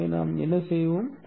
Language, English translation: Tamil, So that's what we will do